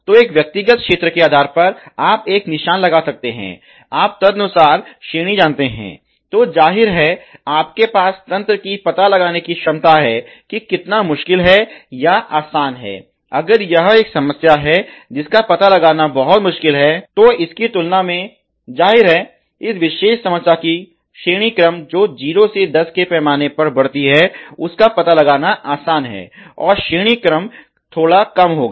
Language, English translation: Hindi, So, based on a individual area you can a mark, you know the ranking accordingly then obviously, you have the detect ability of the system how difficult, how it is easy is to detection, if it is a problem which is very hard to detect than; obviously, the rank of that the particular problem who go up in 0 to 10 scale